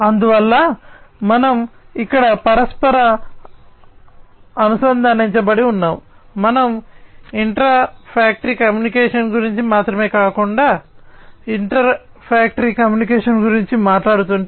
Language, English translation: Telugu, And so we here because it is interconnected, if you know we are talking about not only intra factory communication, but also inter factory communication